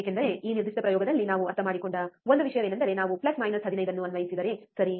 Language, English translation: Kannada, Because one thing that we understood in this particular experiment is that if we apply plus minus 15, right